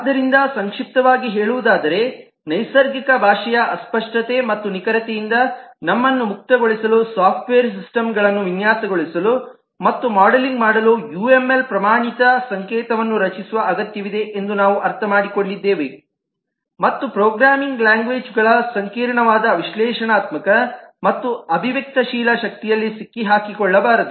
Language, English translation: Kannada, so, to summarize, we have understood that uml is required to create a standard notation for designing and modelling software systems, to liberate ourselves from the vagueness and imprecision of natural language and also not to get trapped in the intricate analytical and expressive power of the programming languages